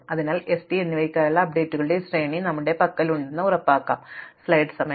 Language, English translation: Malayalam, So, now the question is how do we make sure that we have this sequence of updates for s and t